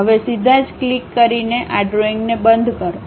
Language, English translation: Gujarati, Now, close this drawing by straight away clicking